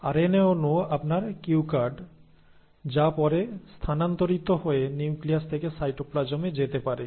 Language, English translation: Bengali, So RNA molecule was your cue card which then moved, can move from the nucleus into the cytoplasm